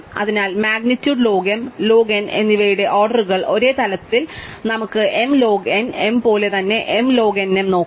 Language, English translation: Malayalam, So, at the level of orders of magnitude log m and log n at the same, so we can look at m log n m as same as m log n